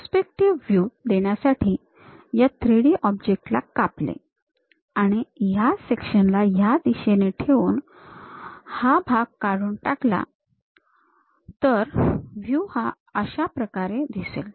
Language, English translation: Marathi, Just to give you a perspective view, this 3 D object if we are having a slice and keeping this section in that direction, removing this part; then the view supposed to be like that